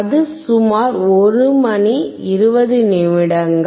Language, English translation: Tamil, And it is about 1hour 20 minutes